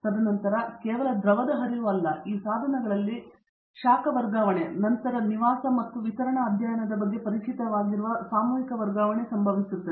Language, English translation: Kannada, And then not alone fluid flow, mass transfer are occurring in this equipments the heat transfer and then students to be familiar with the residence and distribution studies